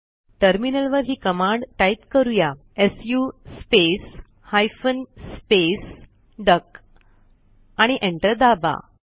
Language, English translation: Marathi, Enter the command su space hyphen space duck on the terminal and press Enter